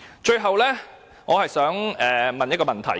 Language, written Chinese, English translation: Cantonese, 最後，我想提出一個問題。, Last of all I would like to raise a question